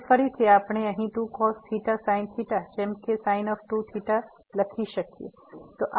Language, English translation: Gujarati, Which again we can write down here 2 times cos theta sin theta as sin 2 theta